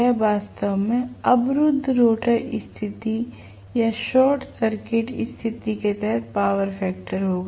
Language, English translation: Hindi, This will actually be the power factor under blocked rotor condition or short circuited condition